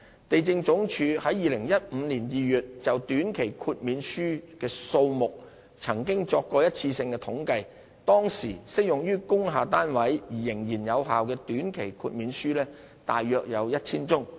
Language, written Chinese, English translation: Cantonese, 地政總署於2015年2月就短期豁免書數目曾作過一次性的統計，當時適用於工廈單位而仍然有效的短期豁免書約有 1,000 宗。, LandsD conducted a one - off survey on the number of temporary waivers in February 2015 . It was found that there were approximately 1 000 valid temporary waivers applicable to industrial building units